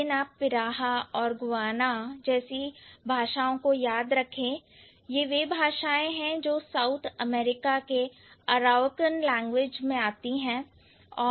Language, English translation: Hindi, For example, Guana is a language which this is an Arawakhan language of South America